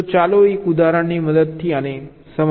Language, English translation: Gujarati, so let us illustrate this with the help of an example